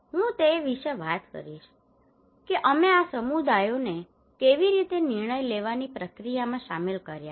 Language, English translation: Gujarati, I will talk about that how we involved these communities into this decision making process